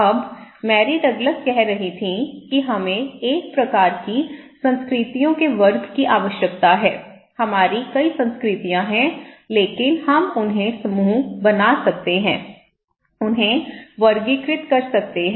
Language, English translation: Hindi, Now, Mary Douglas was saying that we need to have a kind of categories of cultures, there we have many cultures but we can group them, categorize them